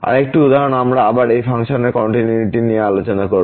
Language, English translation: Bengali, Another example we will discuss the continuity of this function again at origin